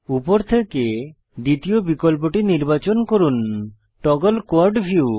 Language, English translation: Bengali, Select the second option from the top that says Toggle Quad view